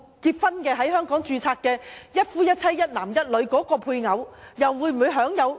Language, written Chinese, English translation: Cantonese, 在香港註冊"一夫一妻"、"一男一女"的配偶，亦可享受福利嗎？, Can a spouse registered in Hong Kong under a marriage of monogamy between one man and one woman enjoy benefits?